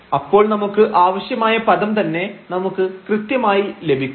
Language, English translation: Malayalam, So, we get precisely the desired term here